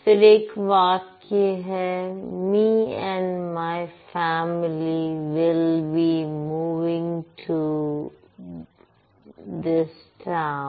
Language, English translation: Hindi, Then there is this sentence, me and my family will be moving to this town